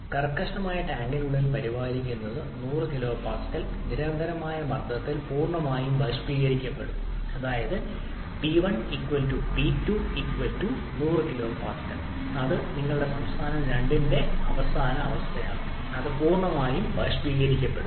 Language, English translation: Malayalam, Maintained inside the rigid tank is completely vaporized at a constant pressure of a 100 kilo pascal that is your pressure p1 and p2 are equal and it is 100 kilopascals and the final state your state 2 is of it is completely vaporized